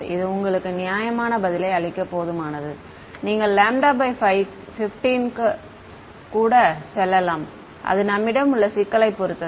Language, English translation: Tamil, This is sufficient to give you a reasonable answer you can even go all the way to lambda by 15 depending on the problem ok